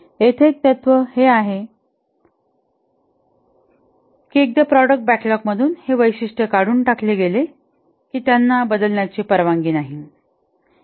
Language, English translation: Marathi, One of the principle here is that once the feature have been taken out from the product backlog, they are not allowed to change